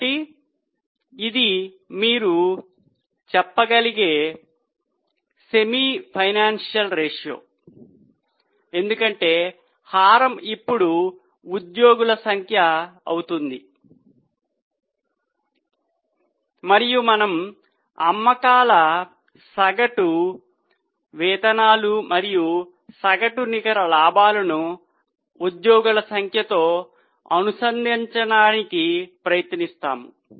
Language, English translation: Telugu, So, this is a semi financial ratio you can say because the denominator will be now number of employees and we will try to link the sales, average wages and average net profit to the number of employees